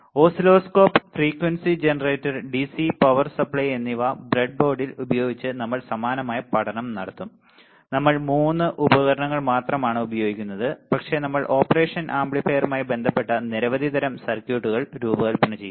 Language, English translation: Malayalam, But we will also do the similar study using the breadboard using the oscilloscope, frequency generator and dc power supply, the only three equipments we will use and we will design several kind of circuits related to the operational amplifier all right